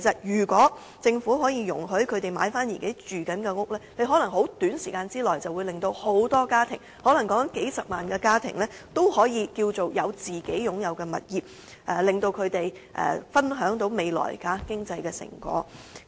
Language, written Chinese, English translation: Cantonese, 如果政府可以容許這些市民購買自己正在居住的單位，可能在短時間內可令大量家庭——可能有數十萬個家庭——擁有自己的物業，讓他們分享未來的經濟成果。, If the Government allows such residents to buy their existing units many families―maybe hundreds of thousands of families―may be able to own their properties within a short time and this can enable them to share the fruit of economic development in the future